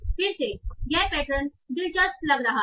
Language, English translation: Hindi, So again this looks, this pattern looks interesting